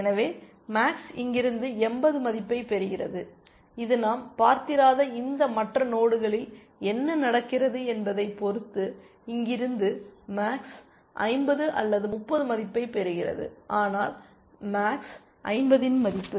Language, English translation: Tamil, So, max is getting a value of 80 from here it is getting a value of utmost 50 or 30 from here depending on what happens in these other nodes which we have not seen, but utmost the value of 50